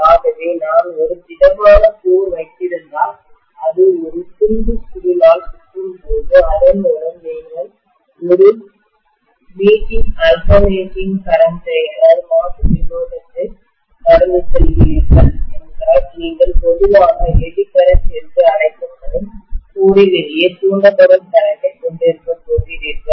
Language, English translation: Tamil, So if I have essentially a solid core which is wound with a piece of coil and then you are passing an alternating current through that, you are going to have currents induced in the core itself which is generally known as the Eddy current